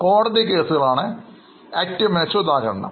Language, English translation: Malayalam, One of the best example are court cases